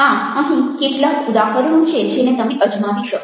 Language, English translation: Gujarati, so this is something which you can try out